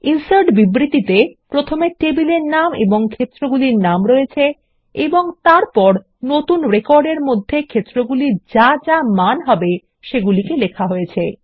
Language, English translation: Bengali, The INSERT statement lists the table name and the field names and then the Values that need to go into the new record